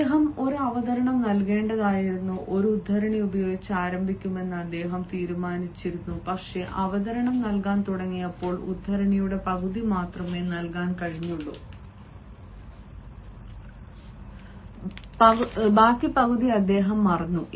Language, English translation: Malayalam, i have had an experience when one of my friends who was to deliver representation and had decided that he will start with a quote, but when he started delivering the presentation, only he could give half of the quote and the other half he forgot